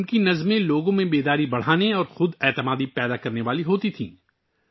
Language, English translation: Urdu, Her poems used to raise awareness and fill selfconfidence amongst people